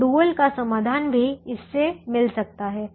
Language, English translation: Hindi, so the solution to the dual can also be found through this